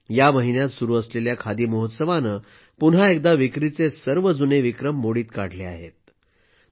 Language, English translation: Marathi, The ongoing Khadi Mahotsav this month has broken all its previous sales records